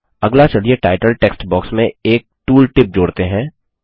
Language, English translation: Hindi, Next, let us add a tool tip to the title text box